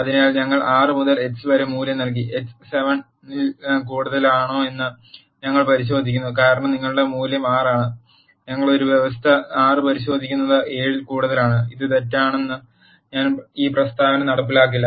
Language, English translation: Malayalam, So, we have assigned a value of 6 to x, we are checking if x is greater than 7 because your value is 6 and we are checking a condition 6 is greater than 7 which is false this statement will not be executed